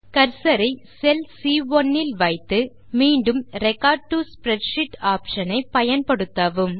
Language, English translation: Tamil, Place your cursor on cell C1, again use the record to spreadsheet option